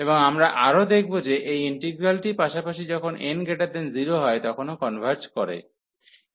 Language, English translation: Bengali, And we will also observed that this integral as well converges when n is strictly positive